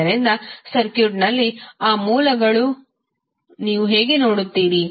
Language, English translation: Kannada, So, how will you see those sources in the circuit